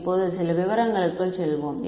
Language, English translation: Tamil, Now, let us let us get into some of the details ok